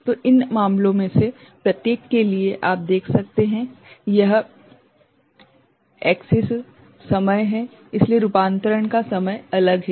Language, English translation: Hindi, So, for each of these cases, you can see this axis is time; so, conversion time is different ok